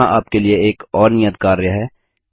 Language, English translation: Hindi, Here is another assignment for you